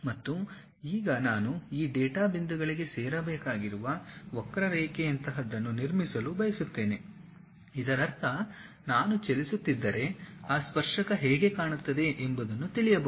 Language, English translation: Kannada, And, now, I would like to construct something like a curve I had to join these data points; that means, I need something like from one point to other point if I am moving how that tangent really looks like